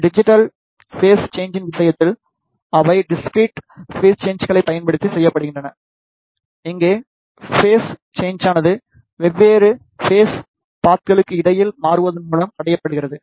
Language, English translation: Tamil, In case of digital phase shifter they are made using the discrete phase changes, here the phase shift is achieved by switching between the different phase paths